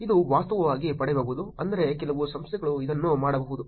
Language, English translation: Kannada, It can actually get, meaning some organizations also can do this